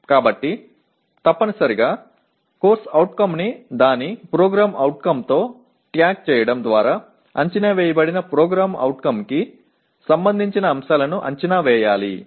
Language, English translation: Telugu, So essentially tagging a CO with its PO requires that the assessment includes items related to the identified PO